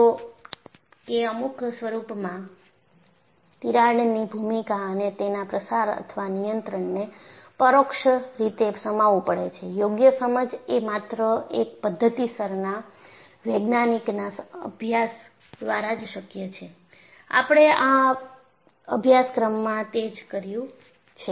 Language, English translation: Gujarati, So, though in some form, the role of crack and its propagation or control is understood indirectly, a proper understanding is possible only through a systematic scientific study; that is what we have embarked up on in this course